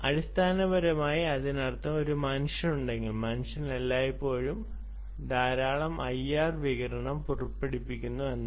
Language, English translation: Malayalam, essentially it means this: that if there is a human, the human is emitting a lot of i r radiation all around all the time